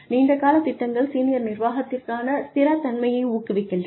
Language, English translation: Tamil, Long term plans encourage, stability for senior management